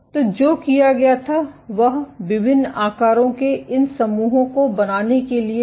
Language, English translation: Hindi, So, what was done was to make these islands of different sizes